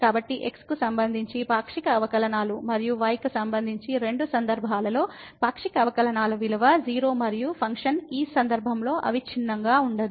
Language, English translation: Telugu, So, both the partial derivatives with respect to and with respect to exist the value of the partial derivatives in both the cases are 0 and the function was are not continuous in this case